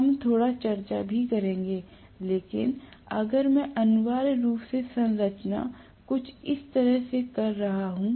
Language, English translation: Hindi, We will also discuss a little bit, but if I am having an essentially the structure somewhat like this